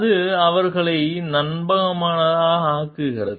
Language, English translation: Tamil, That makes them trustworthy